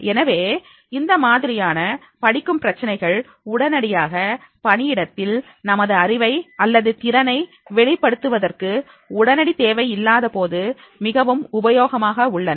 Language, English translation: Tamil, So, this type of training programs are also very useful when there is not an immediate requirement of demonstration of a knowledge or skill at the workplace